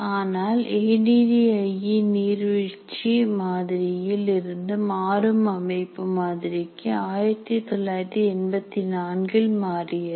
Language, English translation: Tamil, But ADI from its original waterfall model changed to dynamic system model in 1984